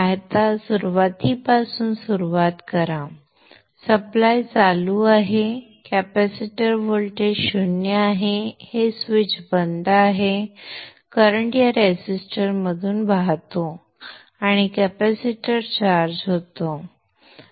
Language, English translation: Marathi, Okay so now start from the beginning the supply is turned on, capacitor voltage is zero, this switch is off, the current flows through this resistor and charges of the capacitor